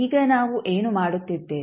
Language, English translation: Kannada, Now, what we are doing